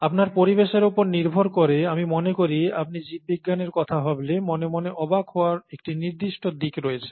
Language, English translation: Bengali, Depending on your background, I think there is a certain aspect of wonder that comes to your mind when you think of biology